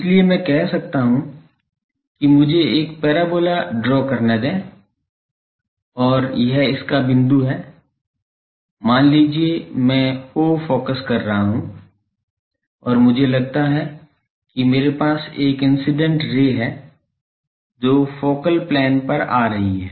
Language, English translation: Hindi, So, I can say that let me draw a parabola and this is its point, let us say the focus I am calling O and the suppose I have an incident ray from here that ray is coming to the focal plane